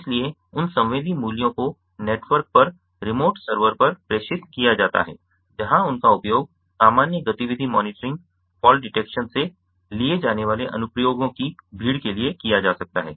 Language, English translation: Hindi, so those sensorial values are transmitted over the network to remote server where they can be used for multitude of applications ranging from normal activity monitoring, fall detection